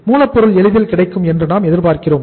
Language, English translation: Tamil, Raw material we are expecting it will be easily available